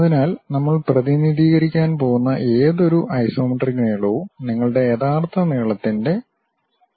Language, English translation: Malayalam, So, any isometric length whatever we are going to represent, that will be 0